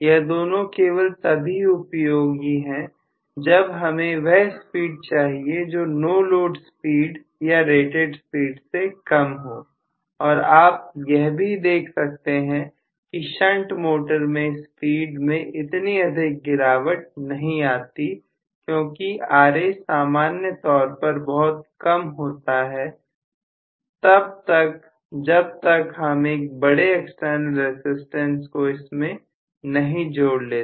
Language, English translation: Hindi, Both of them are only meant for speeds which are less than either no load speed or rated speed and you also see that the shunt motor does not have much drop in the speed because Ra is generally small unless I include a very very large external resistance I am not going to have much of drop in the speed